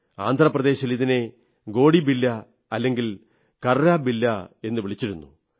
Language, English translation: Malayalam, In Andhra Pradesh it is called Gotibilla or Karrabilla